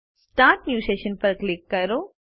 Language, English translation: Gujarati, Click Start New Session